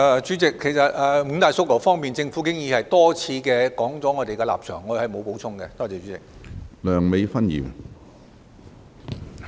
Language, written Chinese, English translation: Cantonese, 主席，就着五大訴求，其實政府已多次提出我們的立場，我沒有補充了。, President the Government has repeatedly expressed its stand towards the five demands . I have nothing to add